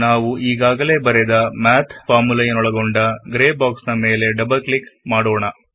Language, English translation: Kannada, Double click on the Gray box that has the formulae we wrote